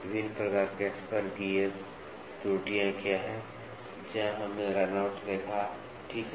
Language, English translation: Hindi, What are the different types of spur gear errors, where we saw runout, ok